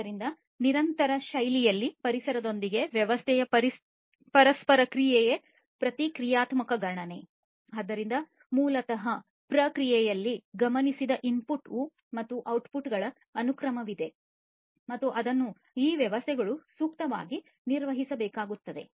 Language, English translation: Kannada, So, basically there is a sequence of observed inputs and outputs in the process and that has to be dealt with by these systems suitably